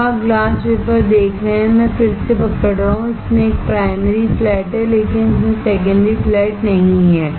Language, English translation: Hindi, Now, you see the glass wafer I am holding again it has a primary flat, but it does not have secondary flat